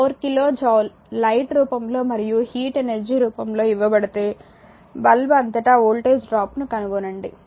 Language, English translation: Telugu, If 4 kilo joule is given off in the form of light and heat energy determine the voltage drop across the lamp